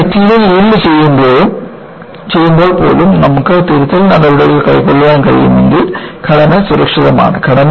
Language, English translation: Malayalam, So, even, when the material yields, if you are able to take corrective measures, the structure is safe